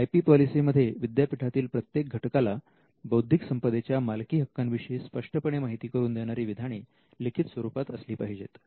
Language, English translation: Marathi, So, there will be the IP policy should capture a statement which makes it very clear for every stakeholder in the university on ownership of intellectual property rights